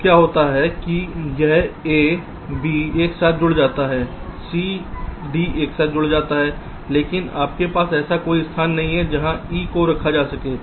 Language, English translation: Hindi, now what happens is that this a, b gets connected together, c, d gets connected together, but you do not have any where to place e